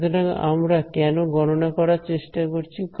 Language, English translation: Bengali, So, why try to calculate